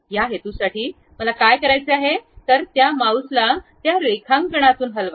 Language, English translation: Marathi, For that purpose, what I have to do, move your mouse out of that drawing